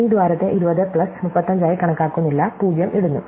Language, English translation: Malayalam, We do not count this hole as 20 plus 35, we put 0